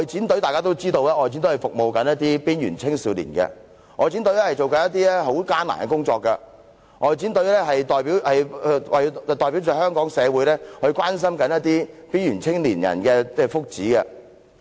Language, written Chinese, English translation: Cantonese, 大家都知道，外展隊是服務邊緣青少年的，外展隊所做的是非常艱難的工作，外展隊是代表香港社會關心邊緣青年人的福祉。, We all know that this outreaching team serves youth at risk and its tasks are extremely challenging . The outreaching team is taking care of the interest of youth at risk for the community of Hong Kong